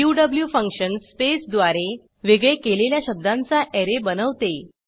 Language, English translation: Marathi, qw function creates an Array of words separated by space